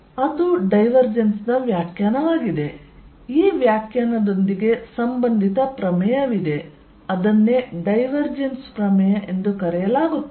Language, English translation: Kannada, So, that is the definition of divergence with this definition of divergence there is related theorem and that is called divergence theorem